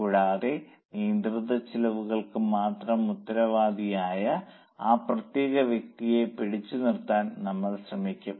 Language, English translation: Malayalam, And we will try to hold that particular person responsible only for controllable costs